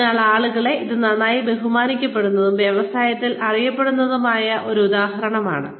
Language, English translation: Malayalam, So, people, this is an example, that is well respected, well known in the industry